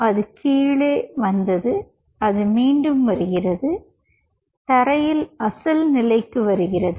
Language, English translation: Tamil, so it came down and it comes back to its ground, original position